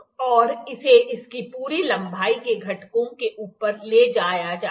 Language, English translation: Hindi, And it is moved over the moved over the components throughout its length